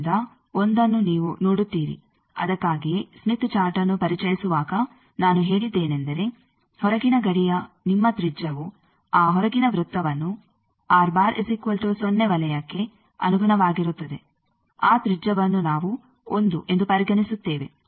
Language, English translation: Kannada, So, 1 you see that is why while introducing Smith Chart I said that, your radius of the outer boundary that outer circle which corresponds to r bar is equal to 0 circle that radius we consider as 1